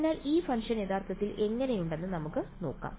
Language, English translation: Malayalam, So, let us see what it what this function actually looks like